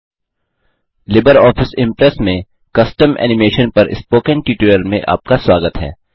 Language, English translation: Hindi, Welcome to the Spoken Tutorial on Custom Animation in LibreOffice Impress